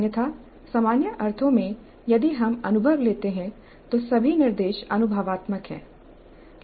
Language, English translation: Hindi, Otherwise in a usual sense if we take experience, all instruction is experiential